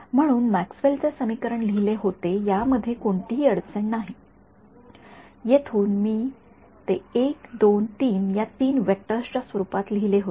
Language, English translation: Marathi, So, Maxwell’s equation were re written in this no problem from here I wrote it in terms of 3 vectors 1 2 3